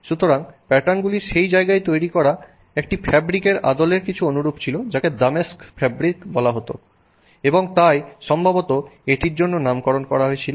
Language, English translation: Bengali, Also the patterns that you see here so the patterns were similar to patterns in a fabric made in that place called Damasque fabric and therefore it was possibly named for that